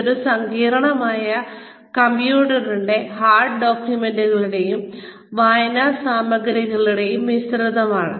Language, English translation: Malayalam, This is a complex, a sort of mix of computer, and this hard documents, and reading material